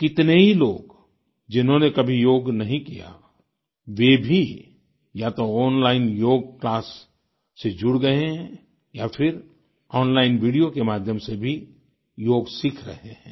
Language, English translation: Hindi, Many people, who have never practiced yoga, have either joined online yoga classes or are also learning yoga through online videos